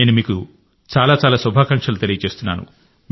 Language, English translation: Telugu, So I wish you all the best and thank you very much